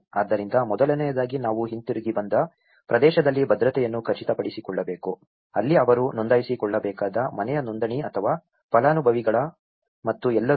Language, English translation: Kannada, So, first thing we have to ensure the security in the area of return, household registration that is where they have to register or the beneficiaries and all